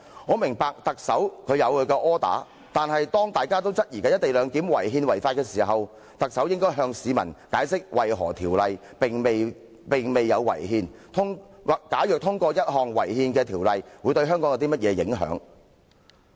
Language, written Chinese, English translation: Cantonese, 我明白特首有其"柯打"，但當大家都質疑"一地兩檢"違憲違法時，特首應該向市民解釋為何《條例草案》未有違憲，以及通過一項違憲的法案對香港有何影響。, I understand that the Chief Executive has her orders but when the public suspects that the co - location arrangement is unconstitutional and unlawful the Chief Executive should explain to the public why the Bill is not unconstitutional as well as the impact of the passage of an unconstitutional bill on Hong Kong